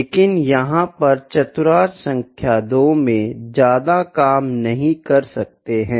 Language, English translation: Hindi, But here we cannot work much in quadrant number 2, ok